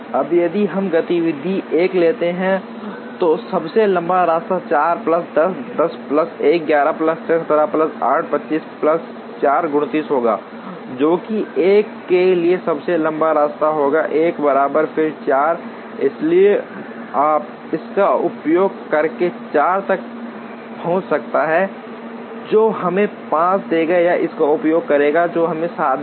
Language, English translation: Hindi, Now, if we take activity 1, the longest path is going to be 4 plus 6, 10 plus 1, 11 plus 6, 17 plus 8, 25 plus 4, 29 will be the longest path for 1, once again 4, so you could reach 6 using this which would give us 5 or using this which would give us 7